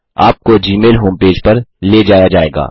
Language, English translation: Hindi, You are directed to the gmail home page